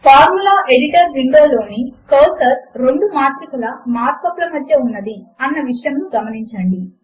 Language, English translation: Telugu, Notice that the cursor in the Formula Editor Window is placed roughly between the two matrix mark ups here